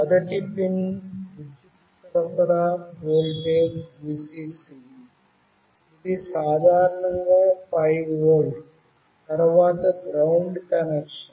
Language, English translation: Telugu, The first pin is the power supply voltage Vcc which is typically 5 volt, then the GND connection